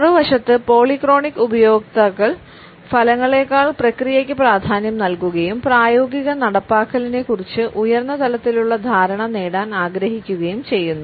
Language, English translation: Malayalam, On the other hand we find that polychronic users emphasize process over results and prefer to gain a high level of understanding over a practical implementation